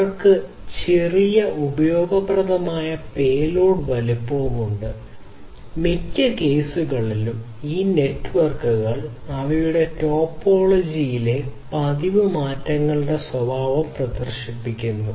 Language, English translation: Malayalam, And they have tiny useful payload size and in most cases these networks also exhibit the behavior of frequent changes in their topology